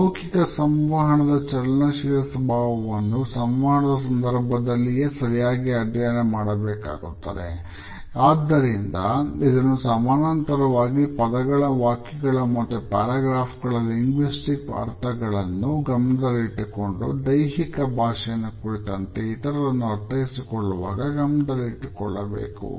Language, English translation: Kannada, The dynamic nature of nonverbal communication is best studied during interactions only and therefore, this parallel with linguistic meaning in terms of words, sentences and paragraphs has to be kept in mind whenever we look at the body language and try to interpret it in others